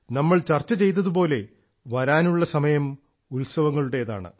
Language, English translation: Malayalam, Like we were discussing, the time to come is of festivals